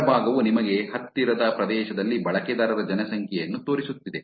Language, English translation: Kannada, The left side is showing you user population in nearby region